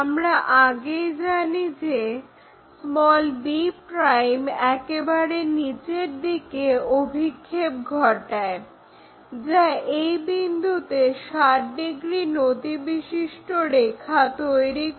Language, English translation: Bengali, So, already we know p' project that all the way down may which cuts this 60 degrees line at this point